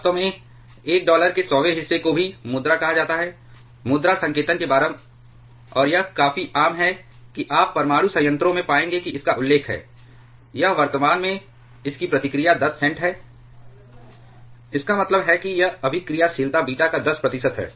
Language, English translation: Hindi, In fact, one hundredth of a dollar is also called the cent, just equivalent to the currency notations, and it is quite common you will find in a nuclear reactor that it is mentioned, it is presently its reactivity at the moment is 10 cents; that means, it is reactivity is 10 percent of beta